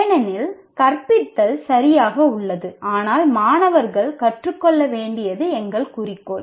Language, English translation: Tamil, Because teaching is all right but our goal is students have to learn